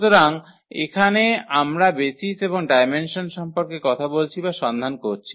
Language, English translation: Bengali, So, here we are talking about or finding the basis and its dimension